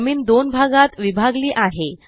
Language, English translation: Marathi, The ground is divided into two